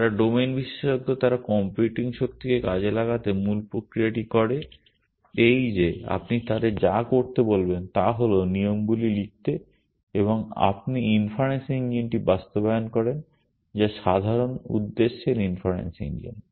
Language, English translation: Bengali, People who are domain experts, to exploit computing power the basic mechanism is this that all you ask them to do is write the rules and you implement the inference engine which is the general purpose inference engine